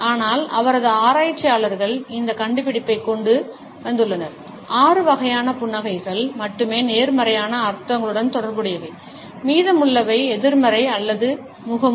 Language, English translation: Tamil, But his researchers had come up with this finding that only six types of a smiles are associated with positive connotations, the rest are either negative or a mask